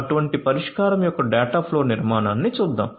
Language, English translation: Telugu, Let us look at the dataflow architecture of such a solution